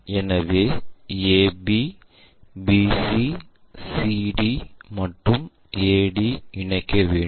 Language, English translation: Tamil, So, join a b, b c, c d, and a d